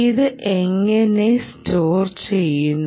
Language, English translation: Malayalam, how does it store